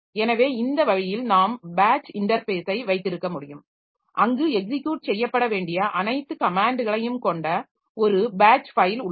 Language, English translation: Tamil, So, this way we can have the batch interface where we have got a batch file containing all the commands to be executed